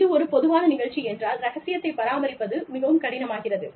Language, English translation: Tamil, If, it is a common program, maintaining confidentiality, becomes difficult